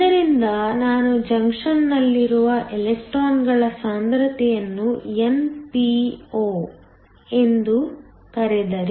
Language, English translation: Kannada, So, if I call the concentration of electrons at the junction as np